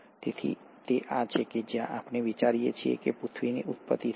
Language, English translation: Gujarati, So this is where we think the origin of earth happened